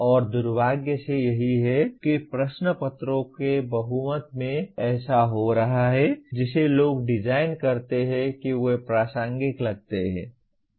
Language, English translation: Hindi, And unfortunately that is what is happening in majority of the question papers that people design that they seem to be relevant